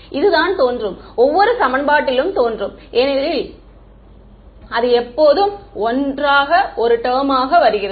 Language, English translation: Tamil, This is what appears in every equation, will appear in every equation because it always comes as one term together